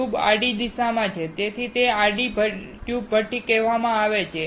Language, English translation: Gujarati, The tube is in horizontal direction that is why it is called horizontal tube furnace